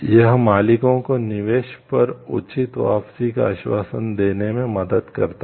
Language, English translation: Hindi, This helps the owners to assure a fair return on investment